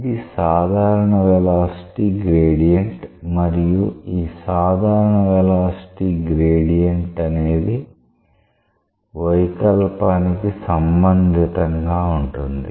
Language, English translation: Telugu, Because this is a general velocity gradient and a general velocity gradient is what is related to what is expected to be related to deformation